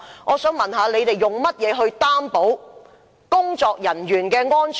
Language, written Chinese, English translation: Cantonese, 我想問，當局怎樣擔保工人的安全？, I would like to ask how the authorities can guarantee workers safety